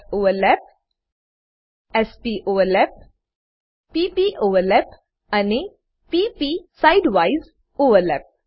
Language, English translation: Gujarati, s soverlap, s poverlap, p poverlap and p p side wise overlap